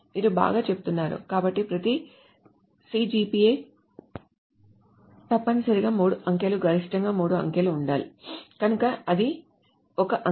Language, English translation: Telugu, So you are saying, well, so every CGPA must be of three digits, at most Cigis with one digit after the thing